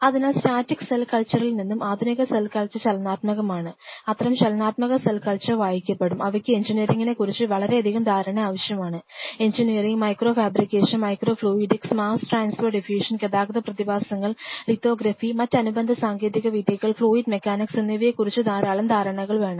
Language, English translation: Malayalam, So, you can say that modern cell culture from static cell culture the future will be more of a dynamic cell culture and such dynamic cell culture will be read, needing lot of understanding of engineering and within engineering micro fabrication, micro fluidics, mass transfer diffusion, lot of understanding of transport phenomena, lithography and other and other allied techniques and fluid mechanics